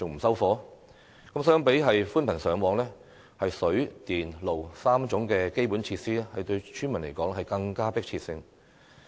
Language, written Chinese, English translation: Cantonese, 相較寬頻上網，水、電、路3種基本設施對村民來說更具迫切性。, For villagers they find the three basic facilities of water electricity and roads more pressing than broadband coverage